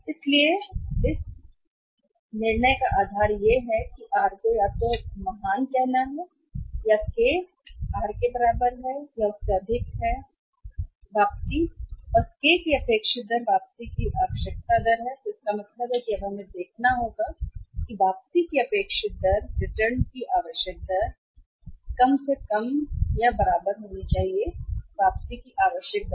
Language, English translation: Hindi, so, the basis of the decision is what that has to be either then great save equal to or greater than or equal to K, r is the expected rate of return and K is the required rate of return, K is the required rate of return it means now we have to see that expected rate of return should be greater than the required rate of return or at least equal to the required rate of return